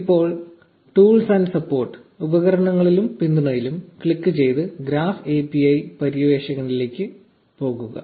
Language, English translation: Malayalam, Now, click on tools and support and go the graph API explorer